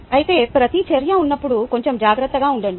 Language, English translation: Telugu, however, when there is a reaction, be a little careful